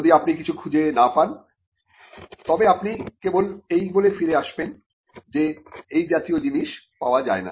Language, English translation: Bengali, Unless you find it, you will only return by saying that such a thing could not be found